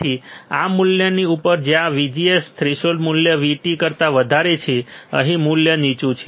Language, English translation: Gujarati, So, above this value where VGS is greater than threshold value V T above the value here the bottom